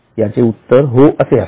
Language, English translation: Marathi, The answer is yes